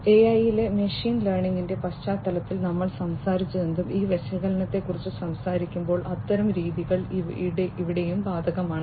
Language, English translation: Malayalam, So, when we talk about this analysis whatever we talked in the context of machine learning in AI those kind of methodologies are also applicable over here